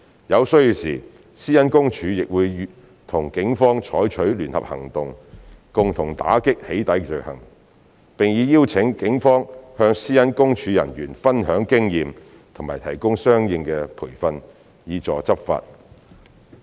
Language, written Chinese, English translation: Cantonese, 有需要時，私隱公署亦會和警方採取聯合行動，共同打擊"起底"罪行，並已邀請警方向私隱公署人員分享經驗和提供相應培訓，以助執法。, Where necessary PCPD will also conduct joint operations with the Police to combat doxxing offences and has already invited the Police to share their experience and provide corresponding training to PCPD officers to facilitate its enforcement